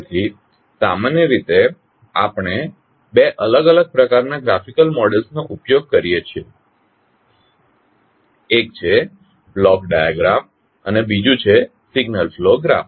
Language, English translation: Gujarati, So, generally we use two different types of Graphical Models, one is Block diagram and another is signal pro graph